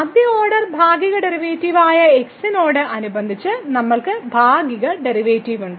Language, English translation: Malayalam, Then we have the partial derivative with respect to the first order partial derivative